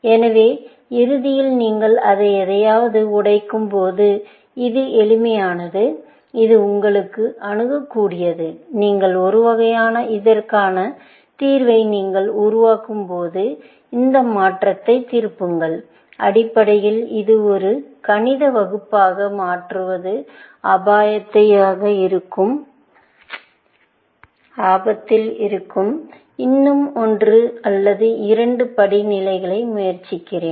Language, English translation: Tamil, So, eventually, when you break it down into something, which is simple, which is accessible to you; you will have a sort of, invert this transformation as you construct the solution for this, essentially, I am in a risk of converting this into a Maths class; let me try one or two more steps